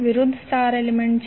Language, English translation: Gujarati, Opposite star element is 20